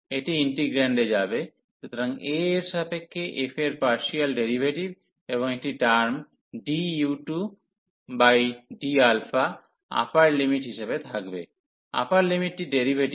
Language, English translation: Bengali, It will go to the integrand, so the partial derivative of f with respect to alpha, and there will be a term d u 2 over delta so the upper limit, the derivative of the upper limit